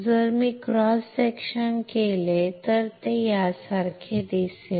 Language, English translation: Marathi, If I do a cross section it will look similar to this